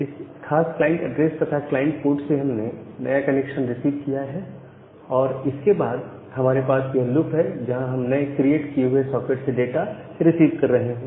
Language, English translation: Hindi, So, from that particular client address and the client port a new connection has been received and after that we are having a loop, where we are receiving the data from the new socket that has been created